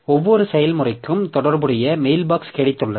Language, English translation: Tamil, So, every process has got an associated mail box